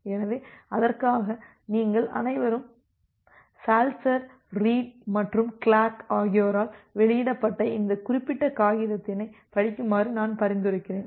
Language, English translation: Tamil, So, for that I suggest all of you to read through this particular paper which was which was published by Saltzer Reed and Clark